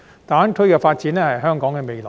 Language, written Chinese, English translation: Cantonese, 大灣區發展是香港的未來。, The development of GBA means Hong Kongs future